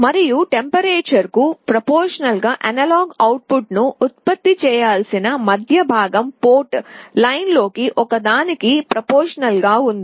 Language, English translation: Telugu, And the middle one that is supposed to generate the analog output proportional to the temperature is connected to one of the port lines